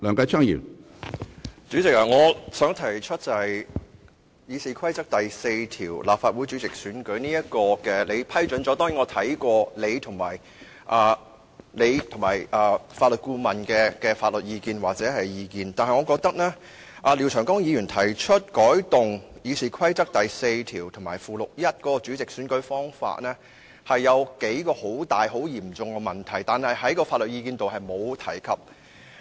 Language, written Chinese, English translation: Cantonese, 主席，你批准廖長江議員就《議事規則》第4條"立法會主席的選擧"提出的修訂建議，我參考過你和法律顧問的意見，但我認為當中對《議事規則》第42條及附表 1" 選擧立法會主席的程序"的修訂，存在幾個很嚴重的問題，但法律意見中並沒有提及。, President regarding your admission of Mr Martin LIAOs proposals to amend Rule 4 of the Rules of Procedure RoP after taking into consideration your opinion and the advice of the Legal Adviser I find that there are some serious problems with the proposals to amend RoP 42 and Schedule 1 . These problems however are not addressed in the legal advice